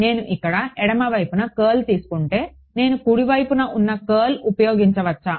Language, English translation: Telugu, If I take a curl over here on the left hand side can I get use the curl on the right hand side